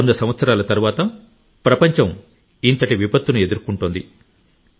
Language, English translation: Telugu, This type of disaster has hit the world in a hundred years